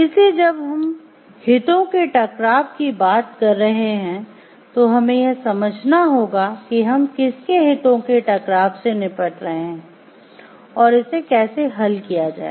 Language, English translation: Hindi, So, when we are talking of conflicts of interest, we have to understand like whose conflicts of interest are we dealing with, and how to resolve it